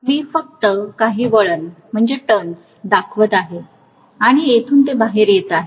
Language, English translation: Marathi, I will just show a few turns and then from here it is coming out